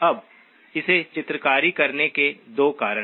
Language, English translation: Hindi, Now 2 reasons for drawing this